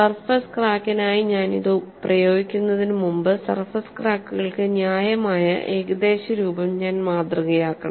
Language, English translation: Malayalam, Before I apply for surface crack I have to model what is the reasonable approximation for surface cracks and that is what is shown here